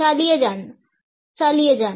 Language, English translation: Bengali, Go on; go on